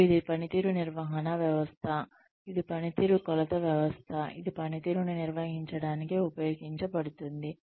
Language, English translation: Telugu, And, it is a performance management system, it is a performance measurement system, that is used to manage performance